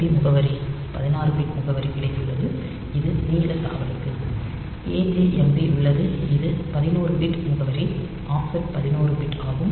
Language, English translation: Tamil, Then we have got LJMP address the 16 bit address that is the long jump; and there is AJMP, which is a 11 bit address, so offset is 11 bit